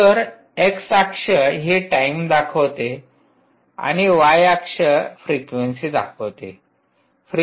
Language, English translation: Marathi, so x axis is the time and frequency is along the y axis